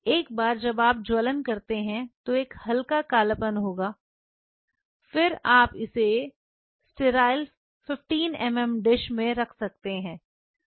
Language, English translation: Hindi, Once you do the flaming there will be a slight kind of you know blackening and then you can place it in a sterile 15 mm dish